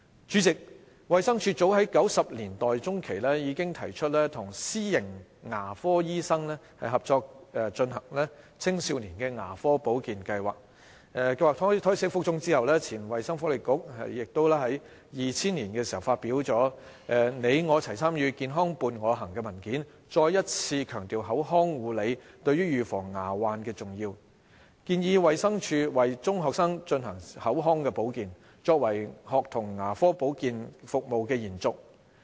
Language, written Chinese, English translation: Cantonese, 主席，衞生署早於1990年代中期，已提出與私營牙科醫生合作推行青少年牙科保健計劃，計劃胎死腹中後，前衞生福利局亦於2000年發表的《你我齊參與、健康伴我行》文件，再一次強調口腔護理對預防牙患的重要，建議衞生署為中學生推行口腔保健，作為學童牙科保建服務的延續。, President as early as in the mid - 1990s the Department of Health proposed to launch in conjunction with private dentists an adolescent dental care programme . But the proposal was scrapped before it was launched . In 2000 the former Health and Welfare Bureau launched a consultation document titled Lifelong Investment in Health in which oral care was also highlighted as an important factor to prevent dental problems